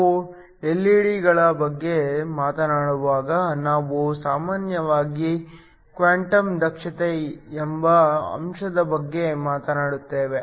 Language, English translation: Kannada, When we talk about LED's, we usually talk about a factor called quantum efficiency